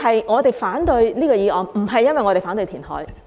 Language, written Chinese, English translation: Cantonese, 我們反對這項議案，亦非因為我們反對填海。, We oppose this motion not because we disapprove of reclamation